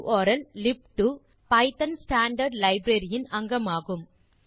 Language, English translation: Tamil, urllib2 is a part of the python standard library